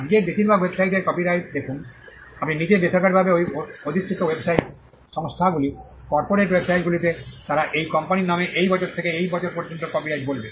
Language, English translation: Bengali, See copyright all most websites today have, at if you go to the bottom privately held websites company corporate websites, they will say copyright from this year to this year in the name of the company